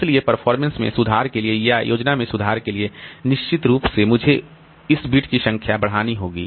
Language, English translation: Hindi, So, improving the performance, improving the scheme, definitely I have to extend this number of bits